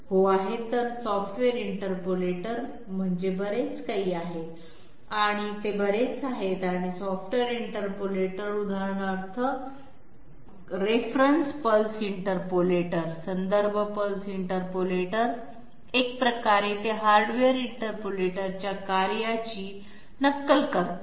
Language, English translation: Marathi, There is; software interpolators are very much there and software interpolators for example, reference pulse interpolators in a way they mimic the the working of the hardware interpolator